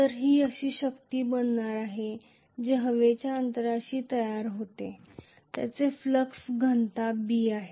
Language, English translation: Marathi, So this is going to be the force that is produced in the air gap whose flux density is B